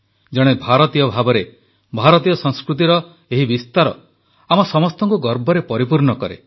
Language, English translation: Odia, The dissemination of Indian culture on part of an Indian fills us with pride